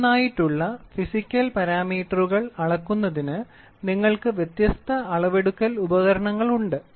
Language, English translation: Malayalam, So, for measuring individual physical parameters you have varying measurement devices